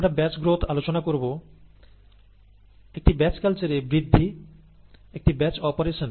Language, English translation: Bengali, So, we are going to consider batch growth, growth in a batch culture, in a batch operation